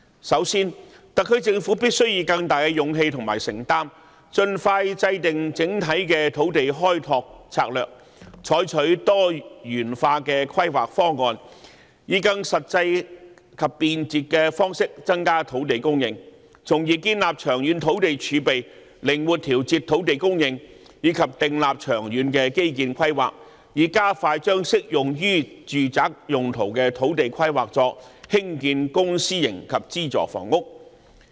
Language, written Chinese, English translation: Cantonese, 首先，特區政府必須以更大的勇氣和承擔，盡快制訂整體的土地開拓策略，採取多元化規劃方案，以更實際及便捷的方式增加土地供應，從而建立長遠土地儲備，靈活調節土地供應；以及訂立長遠基建規劃，加快將適用於住宅用途的土地規劃作興建公私營及資助房屋。, First the SAR Government must expeditiously formulate an overall land development strategy with greater courage and commitment . It must adopt diversified planning proposals with a more pragmatic and convenient approach to increase land supply so as to build up a long - term land reserve for flexible adjustment of land supply . It must also formulate long - term infrastructure planning to expedite the planning of land suitable for residential purpose for constructing public private and subsidized housing